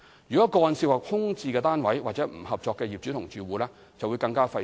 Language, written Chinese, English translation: Cantonese, 如果個案涉及空置單位或不合作的業主或住戶，則會更費時。, The processing time for cases involving vacant units or uncooperative owners or occupants would be even longer